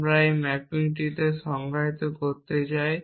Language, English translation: Bengali, So, we have to a define this mapping